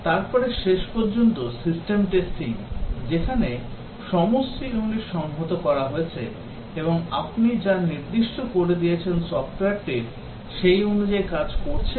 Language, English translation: Bengali, Then finally, the System testing where all the units have been integrated and tested against the specification to check if the software is working as you are specified